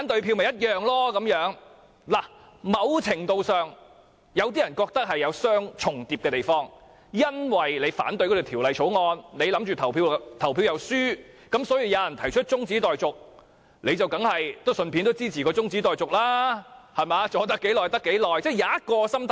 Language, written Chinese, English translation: Cantonese, 有些人認為，某程度上兩者有重疊的地方，因為如我反對《條例草案》而又預計表決會輸，當有議員提出中止待續議案，我當然支持，能拖延多久便多久，是可以有這種心態的。, Some consider that the two is somewhat overlapping; if I oppose the Bill and anticipate that it will be read the Second time when a Member proposes an adjournment motion I will certainly give support so that we can buy as much time as possible . I may have such kind of mindset